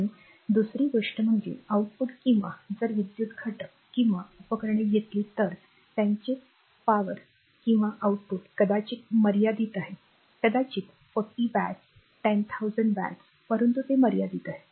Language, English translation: Marathi, And second thing is that output or if you take an electrical elements or devices; their power output is maybe limited maybe 40 watt maybe 1000 watt, but it is limited right